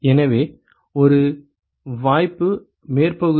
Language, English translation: Tamil, So, one possibility is surface area